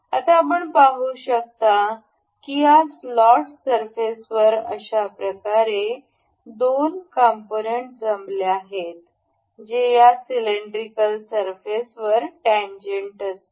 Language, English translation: Marathi, Now, you can see the two components assembled in a way that does this slot surface is tangent to this cylindrical surface